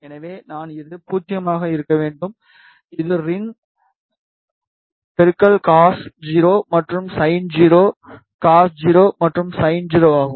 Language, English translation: Tamil, So, I this should be 0 I have, this is rin cos 0, and sin 0, cos 0, and sin 0